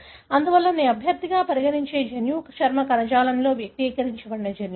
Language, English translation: Telugu, Therefore, the gene I would consider as a candidate are those genes that are expressed in the skin tissue